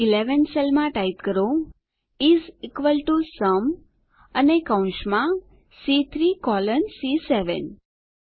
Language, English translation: Gujarati, In the cell C11 lets type is equal to SUM and within braces C3 colon C7